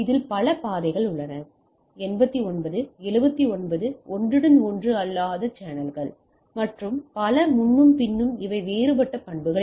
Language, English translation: Tamil, So, there is a multi path feeding, 89, 79 non overlapping channels and so and so forth and these are different characteristics of that